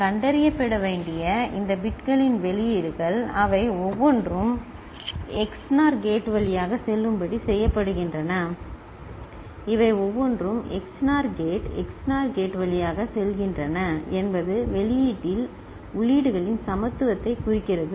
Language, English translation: Tamil, The outputs of this bits that are to be detected they are made to go through XNOR gate each of these are going through XNOR gate XNOR gate you know, at the output indicates a equality of the inputs